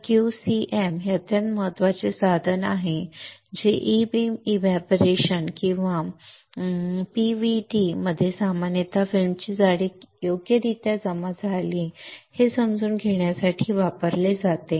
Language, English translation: Marathi, So, Q cm is extremely important tool used within the E beam evaporator or PVD in general to understand how much thickness of the film has been deposited alright